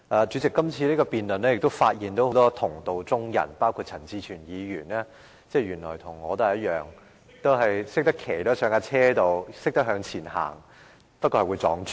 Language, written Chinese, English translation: Cantonese, 在今次的辯論中，我發現了很多同道中人，包括陳志全議員，原來他和我一樣，只懂騎上單車向前走，而我還會撞柱。, In the debate today I notice that many people including Mr CHAN Chi - chuen are like me who can only cycle forward on a bicycle yet I will bump into bollards